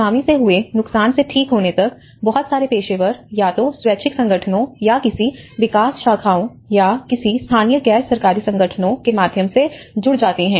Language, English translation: Hindi, Until the Tsunami recovery, there has been a lot of professionals get involved either in the terms of voluntary organizations or through any development agencies or any local NGOs